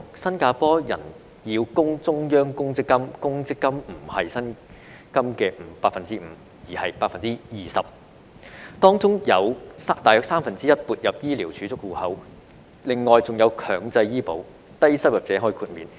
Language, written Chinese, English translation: Cantonese, 新加坡人要供中央公積金，公積金不是薪金的 5%， 而是 20%， 當中有大約三分之一撥入醫療儲蓄戶口，另外還有強制醫保，低收入者可豁免。, Singaporeans are required to make contributions to the Central Provident Fund which account for 20 % not 5 % of their salary . About one third of the contributions goes into their Medisave Accounts . What is more there is mandatory health insurance though low - income people are granted exemption